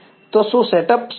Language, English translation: Gujarati, So, is the set up clear